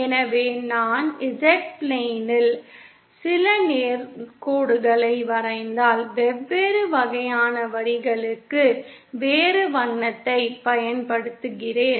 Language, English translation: Tamil, So if I draw some straight lines on the Z plane, IÕll use a different color for different types of lines